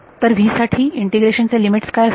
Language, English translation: Marathi, So, what are the limits of integration over here for v